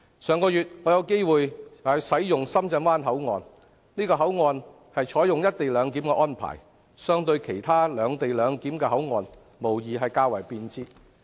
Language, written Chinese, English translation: Cantonese, 上月我有機會使用深圳灣口岸，這個口岸採用了"一地兩檢"的安排，相對其他"兩地兩檢"的口岸，無疑較為便捷。, Last month I had the opportunity to use the Shenzhen Bay Port . This port adopts co - location arrangement and is certainly more convenient than those which adopt separate location arrangement